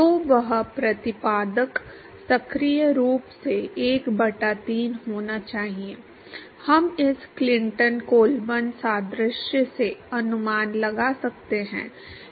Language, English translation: Hindi, So, that exponent should actively be 1 by 3, we could guess from this Clinton Colburn analogy